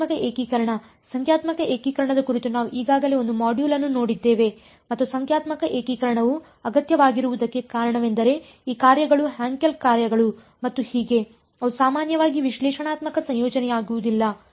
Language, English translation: Kannada, Numerical integration, we have already seen one module on numerical integration and the reason why numerical integration is necessary is because these functions Hankel functions and so on, they are often not analytical integrable